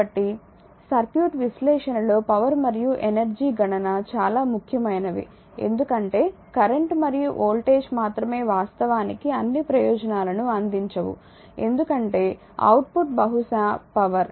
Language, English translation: Telugu, So, power and energy calculation are very important in circuit analysis because only current and voltage actually both do not serve all the purpose because output maybe power